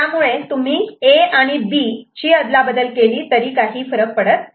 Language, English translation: Marathi, So, basically whether you exchange A with B, and B with A, there is no difference ok